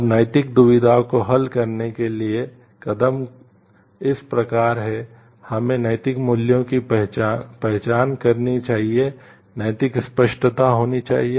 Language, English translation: Hindi, And the steps to solving the ethical dilemma are like, we should have the moral clarity, identifying the relevant moral values